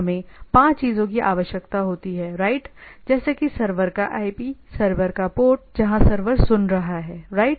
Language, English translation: Hindi, We require 5 things, right that IP of the server, port of the server where the server is listening, right